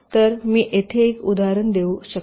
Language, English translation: Marathi, so i can given example here